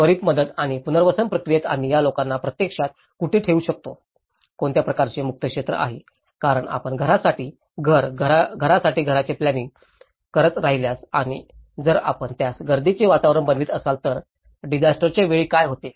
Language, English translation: Marathi, In the immediate relief and rehabilitation process, where can we actually put these people, what kind of open area because if you keep planning house for house, house for house and then if you make it as the congested environment, so what happens during a disaster